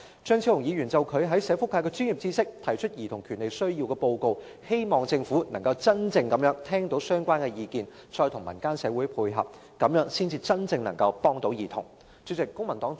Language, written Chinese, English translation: Cantonese, 張超雄議員就他在社福界的專業知識提出有關兒童權利的報告，希望政府能夠真正聽到相關意見，再與民間社會配合，這樣才能夠真正幫助兒童。, Dr Fernando CHEUNG capitalizing on his professional knowledge of the social welfare sector has presented the report on childrens rights . I hope the Government can truly listen to relevant views and make joint efforts with the community . Only in this way can help be genuinely rendered to children